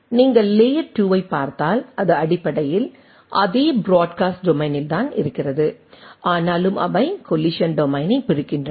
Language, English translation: Tamil, If you look at the layer 2, it basically in the same broadcast domain, but nevertheless they divides the collision domain